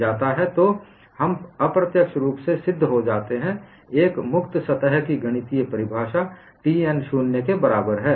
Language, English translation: Hindi, So, we have indirectly proved, the mathematical definition of a free surface is T n equal to 0